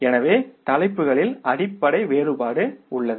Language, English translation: Tamil, So, there is a basic difference in the titles